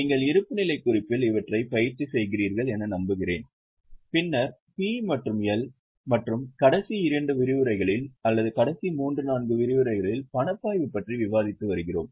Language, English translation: Tamil, I hope you are practicing on the same, on balance sheet, then P&L, and in last two sessions or last three, four sessions rather, we have been discussing on cash flow statement